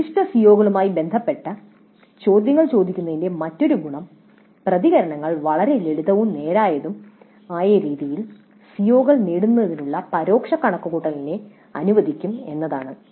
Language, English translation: Malayalam, And another advantage of asking questions related to specific CEOs is that the responses will allow the indirect computation of attainment of CBOs in a fairly simple and straight forward fashion